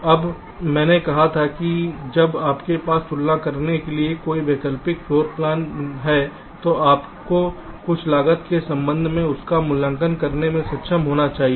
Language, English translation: Hindi, now i had said that when you have a number of alternate floor plans ah to compare, you should be able to just evaluate them with respect to some cost